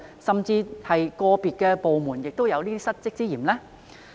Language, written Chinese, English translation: Cantonese, 甚至個別部門是否亦有失職之嫌呢？, Or could it even be that some departments are derelict of their duties?